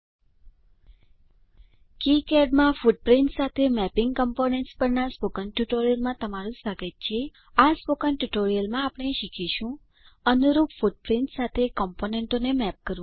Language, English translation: Gujarati, Dear Friends, Welcome to the spoken tutorial on Mapping components with footprints in KiCad In this spoken tutorial, we will learn To map components with corresponding footprints